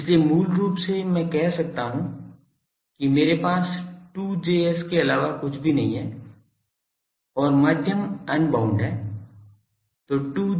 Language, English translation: Hindi, So, basically I can say that I have nothing but a 2 Js, and the medium is unbounded